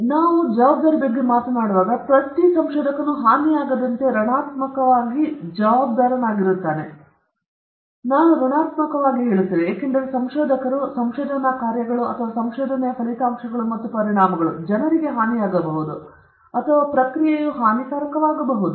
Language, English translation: Kannada, So, when we talk about responsibility, every researcher has a responsibility to negatively to prevent harm; I would start with that, I say negatively, because researchers, research work or the findings of research or the products and consequences of research, might harm people or even the process itself might be harmful